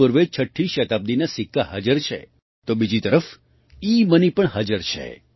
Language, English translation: Gujarati, Here coins of the sixth century BC are present; on the other hand, eMoney is also present